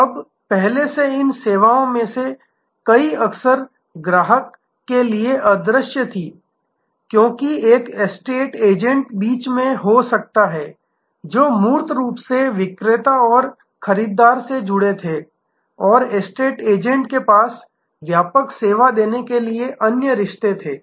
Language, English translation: Hindi, Now, earlier many of these services were often invisible to the customer, because there might have been in between an estate agent, who basically connected the seller and the buyer and the estate agent had other relationships to give a comprehensive service